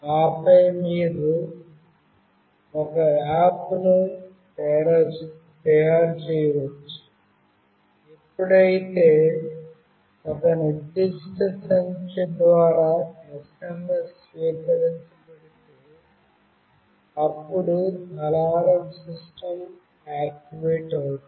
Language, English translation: Telugu, And then you can make an app, where if an SMS is received from that particular number, an alarm system will get activated